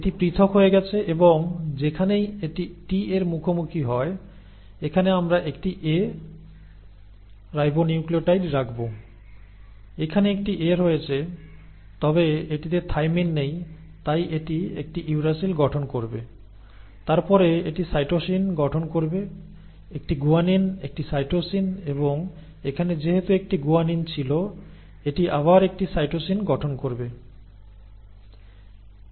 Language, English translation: Bengali, So this has separated and wherever it encounters a T, here we will put a A, ribonucleotide, here there is an A, but it does not have a thymine so it will form a uracil, then it will form cytosine, a guanine, a cytosine and here since there was a guanine it will form a cytosine again